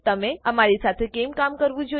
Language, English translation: Gujarati, Why should you work with us